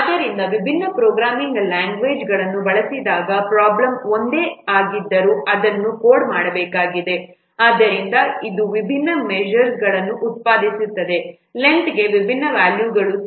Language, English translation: Kannada, So when different programming languages are used, even if the problem is same to be, that has to be coded, so that will produce different measures, different values for the length